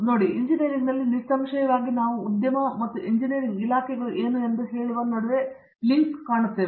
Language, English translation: Kannada, See, in certainly in engineering often we tend to see a little greater link between say the industry and what engineering departments do